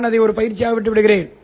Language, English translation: Tamil, I will leave that as an exercise